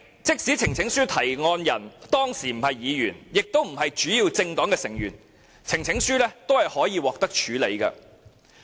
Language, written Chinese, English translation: Cantonese, 即使呈請書提案人當時不是議員或主要政黨的成員，呈請書也可以獲得處理。, Even if the presenter of a petition is not a Member of Parliament or a member of a major political party the petition can still be considered for a debate